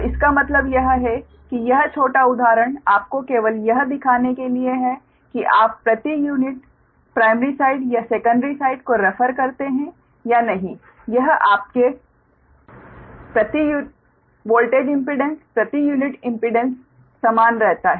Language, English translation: Hindi, right, so that means this small example you to you, just to show that, whether you take, refer to primary side or secondary side, on per unit values, this, this your, what you call the impedance per unit impedance